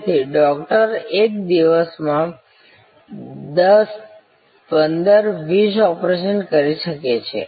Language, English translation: Gujarati, So, Doctor utmost could do may be 10, 15, 20 operations in a day